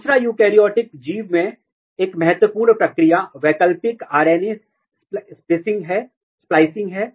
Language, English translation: Hindi, Second important thing, one very very important process in eukaryotic organism is alternative RNA splicing